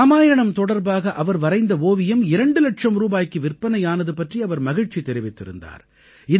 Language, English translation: Tamil, He was expressing happiness that his painting based on Ramayana had sold for two lakh rupees